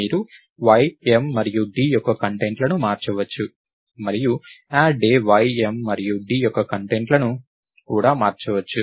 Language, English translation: Telugu, You can change the contents of y, m and d and add day can also change the contents of y, m and d